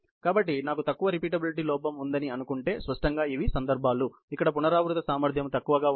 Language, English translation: Telugu, So, if supposing I had a lower repeatability error; obviously, these are cases, where the repeatability here is lower